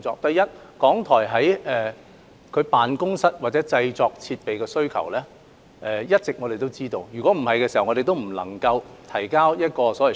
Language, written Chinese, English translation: Cantonese, 對於港台有關辦公室或製作設施的需求，我們一直都清楚知道，否則我們不能夠提交用途分配表。, Regarding the demand of RTHK for offices or production facilities we have all along been clearly aware of it otherwise we would not have been able to present a schedule of accommodation